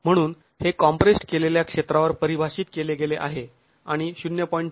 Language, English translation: Marathi, So, the sigma D is defined on the compressed area and 0